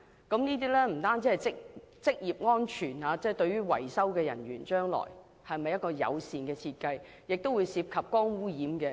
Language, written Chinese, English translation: Cantonese, 這不單是職業安全，對維修人員也是一項友善設計，而且亦涉及光污染問題。, This is not only about occupational safety . This is also about being good to maintenance workers and about the mitigation of light pollution